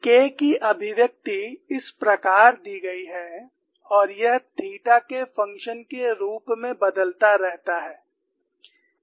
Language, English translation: Hindi, The expression of K is given in this fashion and it varies as a function of theta